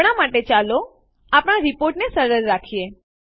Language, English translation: Gujarati, For now, let us keep our report simple